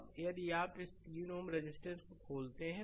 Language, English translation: Hindi, Now, if you open this 3 ohm resistance